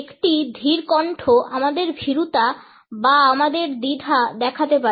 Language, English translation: Bengali, A slow voice can show our timidity our diffidence